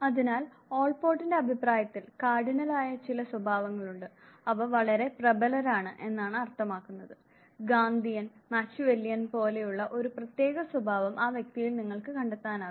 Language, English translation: Malayalam, So according to Allport, there are some traits which are Cardinal means they are so dominant that nearly you can trace back the individual to that specific type of a trait like say Gandhian, Machiavellian